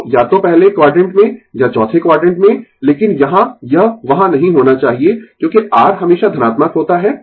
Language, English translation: Hindi, So, either in the first quadrant or in the fourth quadrant, but here it should not be there, because R is always positive